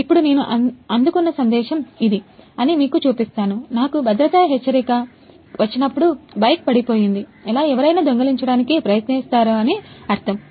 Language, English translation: Telugu, Now I will show this is the message I got, when I got the safety alert means either the bike is fallen or someone tries to steal it